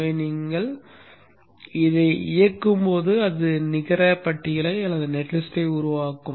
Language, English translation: Tamil, So when you run this, it will generate the net list